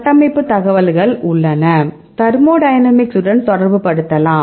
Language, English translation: Tamil, So, we have the structural information and, we can related it with the thermodynamics